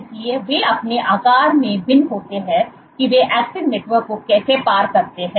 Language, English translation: Hindi, So, they differ in their sizes, in how they cross link the actin network so on and so forth